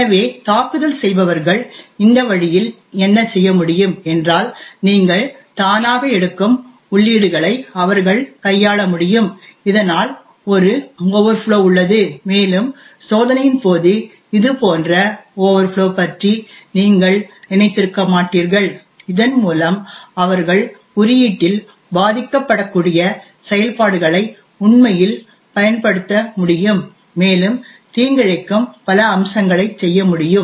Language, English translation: Tamil, So what attackers could do this way is that they could manipulate what inputs you take automatically so that there is an overflow and you would not have thought of such overflow during the testing and with this they would be able to actually execute vulnerable functions in the code and do a lot of other malicious aspects